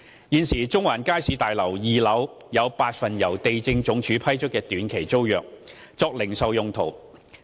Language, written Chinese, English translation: Cantonese, 現時，中環街市大樓2樓有8份由地政總署批出的短期租約，作零售用途。, Currently eight short - term tenancy agreements have been granted by the Lands Department LandsD for retail uses on the second floor of the Central Market Building